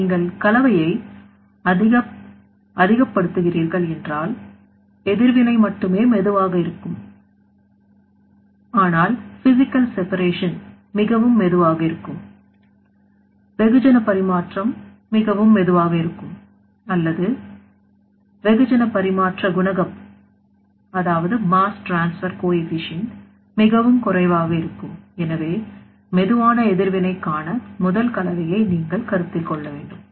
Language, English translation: Tamil, So, in this case if you are increasing the mixing so only the slow reaction or you can say that where the physical separation is very slow, mass transfer will be very slow or mass transfer coefficient will be very low, so in that case you have to consider the you know the first mixing of the slow reaction